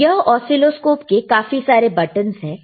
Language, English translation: Hindi, So, these are several buttons on the on the oscilloscope, all right